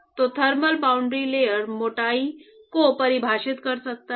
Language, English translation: Hindi, So, one could define thermal boundary layer thickness